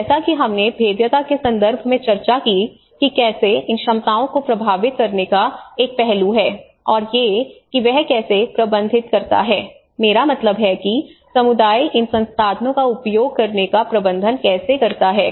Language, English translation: Hindi, So then as we discussed in the vulnerability context, how it also have a give and take aspect of this influencing these abilities you know because these are the how he manages, I mean the community manages to access these resources